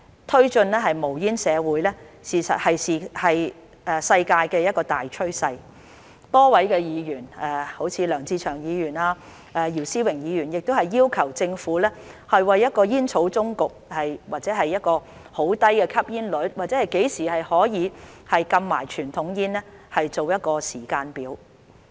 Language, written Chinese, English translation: Cantonese, 推進無煙社會是世界的大趨勢，多位議員好像梁志祥議員和姚思榮議員亦要求政府為一個煙草終局，或一個很低的吸煙率，甚至何時可以禁傳統煙做一個時間表。, Promoting a smoke - free society is a major global trend . A number of Members such as Mr LEUNG Che - cheung and Mr YIU Si - wing have asked the Government to set a timetable for a tobacco endgame or a very low smoking rate or even a ban on conventional cigarettes